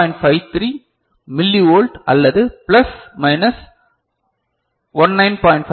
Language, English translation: Tamil, 53 millivolt or so plus minus 19